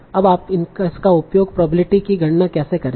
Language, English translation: Hindi, So how will you write this probability